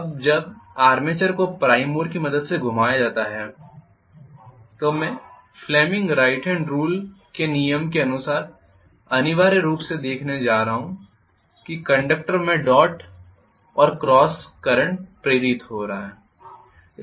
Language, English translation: Hindi, Now when the armature is rotated with the help of prime mover I am going to see essentially as per fleming’s right hand rule, I am going to have dot and cross currents are induced,right